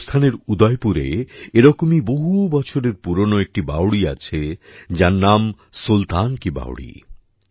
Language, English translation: Bengali, In Udaipur, Rajasthan, there is one such stepwell which is hundreds of years old 'Sultan Ki Baoli'